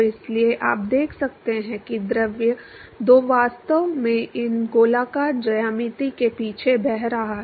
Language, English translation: Hindi, So, therefore, you can see the fluid two is actually flowing past these circular geometry